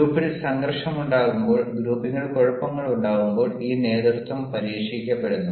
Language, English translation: Malayalam, and this leadership is tested when there is conflict in the group, when there is caves in the group